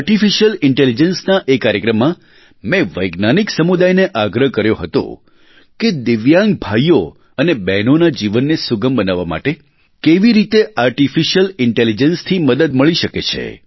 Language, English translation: Gujarati, In that programme on Artificial Intelligence, I urged the scientific community to deliberate on how Artificial Intelligence could help us make life easier for our divyang brothers & sisters